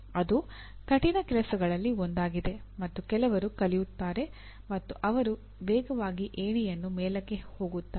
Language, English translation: Kannada, That is the one of the toughest things to do and some people learn and those who learn fast will move up in the ladder